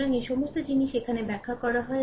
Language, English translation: Bengali, So, all this things are explained here